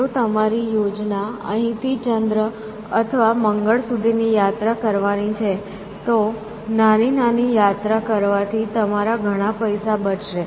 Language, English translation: Gujarati, If you have planning, let us say trips from here to the moon or to mars, then thus smaller number of trips is going to save your lot of money